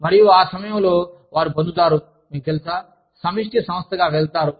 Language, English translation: Telugu, And, that is when, they get, you know, go as a collective body